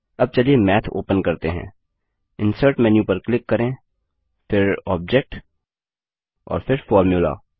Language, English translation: Hindi, Let us call Math by clicking Insert menu, then Object and then Formula